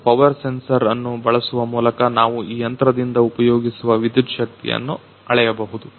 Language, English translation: Kannada, And by using the power sensor we can a measure the power the electric power consumed by this machine